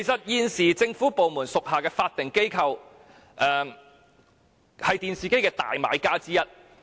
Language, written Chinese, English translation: Cantonese, 現時政府部門屬下的法定機構，是電視機的主要買家之一。, At present statutory bodies under government departments are one of the major buyers of TVs